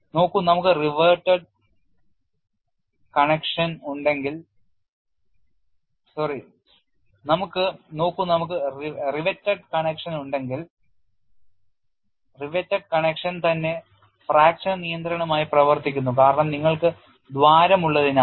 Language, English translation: Malayalam, So, if we have a reverted connection, the reverted connection itself serves as fracture control because you have holes